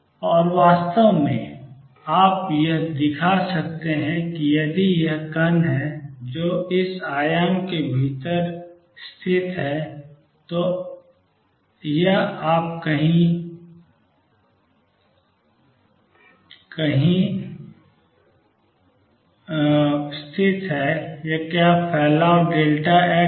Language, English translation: Hindi, And In fact, you can show that if there is this particle which is located within this amplitude it is located somewhere here, is the spread is delta x